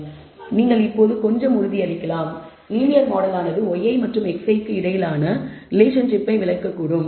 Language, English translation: Tamil, Yes you can now be a little bit assurance, you get that the linear model perhaps can explain the relationship between y i and x i